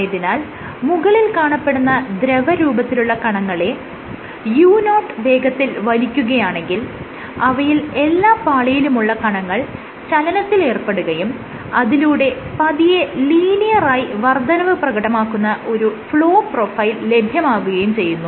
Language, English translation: Malayalam, So, when you pull the top surface at the speed of u0, the fluid particles of all the layers will keep on moving and you will get a flow profile which is linearly increasing